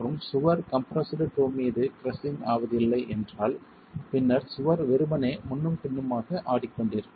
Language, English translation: Tamil, And if the wall were not going to crush at the compressed toe, then the wall is simply going to go rocking back and forth